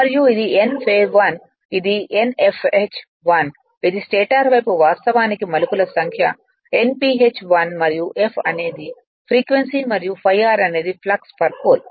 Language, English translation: Telugu, And this is N phase 1 that is Nfh 1, that is the stator side actually number of turns will call Nph 1 and f frequency and phi r is the flux per pole